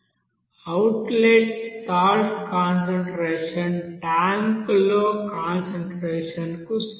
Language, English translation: Telugu, Assume here outlet, the outlet concentration equals the concentration in the tank